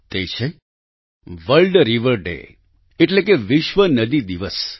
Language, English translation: Gujarati, That is World Rivers Day